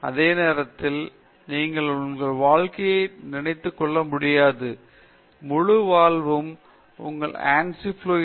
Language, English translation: Tamil, At the same time, you cannot assume that your life whole life you will be working on some software like Ansys Fluent